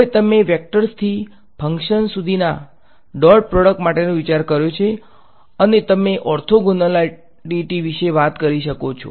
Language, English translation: Gujarati, Now, you are abstracted the idea for dot product from vectors to functions and you can talk about orthogonality right